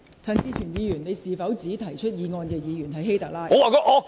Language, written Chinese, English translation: Cantonese, 陳志全議員，你是否指提出議案的議員是"希特拉"？, Mr CHAN Chi - chuen did you refer the Member who moves this motion as HITLER?